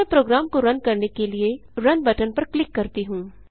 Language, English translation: Hindi, Let me click on the Run button to run the program